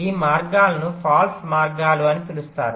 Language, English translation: Telugu, these paths are called false paths